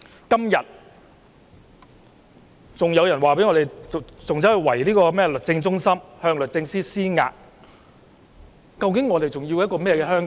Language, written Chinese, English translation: Cantonese, 今天有人圍堵律政中心，向律政司司長施壓，究竟我們追求怎樣的香港？, Today some people have besieged Justice Place to pressurize the Secretary for Justice . After all what kind of society do we pursue in Hong Kong?